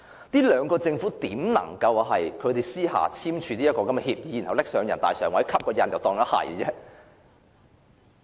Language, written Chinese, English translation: Cantonese, 特區政府又如何能私下簽署協議，然後提交人大常委會蓋章成事？, How can the HKSAR Government sign an agreement in private and then submit it to NPCSC for a seal of approval?